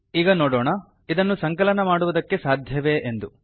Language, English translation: Kannada, So lets see whether we can compile this